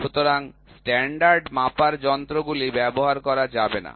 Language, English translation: Bengali, So, the standard measuring devices cannot be used, ok